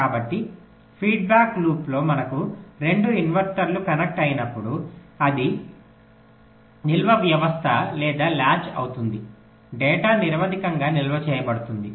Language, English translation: Telugu, so whenever we have two inverters connected in a feedback loop that will constitute a storage system or a latch, the data will be stored in